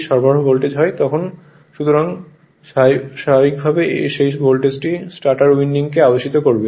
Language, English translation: Bengali, So, naturally that voltage will also induce in your what you call in the stator winding